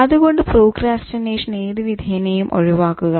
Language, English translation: Malayalam, So, avoid procrastination by all means at any cost